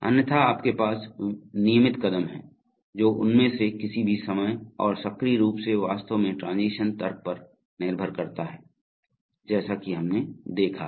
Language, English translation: Hindi, Otherwise you have regular steps, which one of them and active at any time actually depends on the transition logic as we have seen